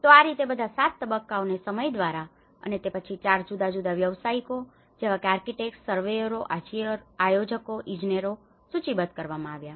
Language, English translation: Gujarati, So, this is how all these 7 phases have been listed out by time and then 4 different professionals, architects, surveyors, planners, engineers